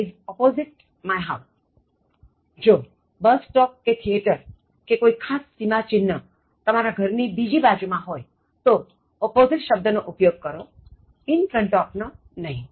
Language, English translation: Gujarati, So, if there is a bus stop or a theater or any other landmark on the other side of the building, use opposite, not in front of